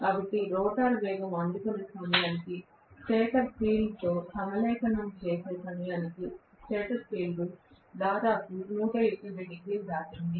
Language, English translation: Telugu, So by the time the rotor things of picking up speed, even aligning with the stator field, it is not even able to do that before that the stator field has already crossed almost 180 degrees